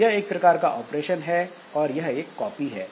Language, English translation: Hindi, So, this is one type of operation